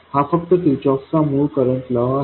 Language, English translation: Marathi, We know that by Kirchff's current law